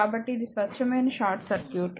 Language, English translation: Telugu, So, it is a pure short circuit